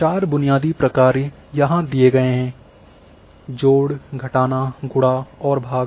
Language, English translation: Hindi, Four basic functions are given here; plus,minus,multiply and division